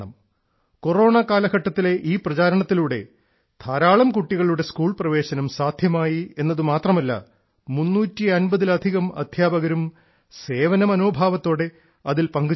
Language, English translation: Malayalam, During the Corona period, due to this campaign, not only did the admission of a large number of children become possible, more than 350 teachers have also joined it with a spirit of service